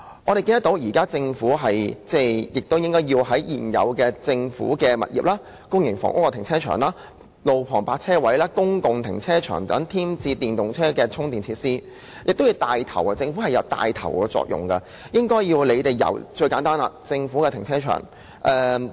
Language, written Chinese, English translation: Cantonese, 我們認為，政府應該在政府物業、公營房屋停車場、路旁泊車位和公共停車場等地方添置電動車充電設施，以起帶頭作用，最低限度應該由政府停車場開始做起。, We hold that the Government should take the lead and provide charging facilities in government properties car parks of public housing estates roadside parking spaces and public car parks . This task should at least start from government car parks